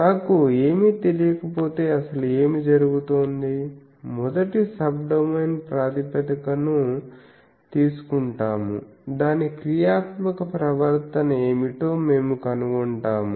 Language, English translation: Telugu, Actually what happens when I do not know anything; we take first Subdomain basis we find out what is the more or less functional behavior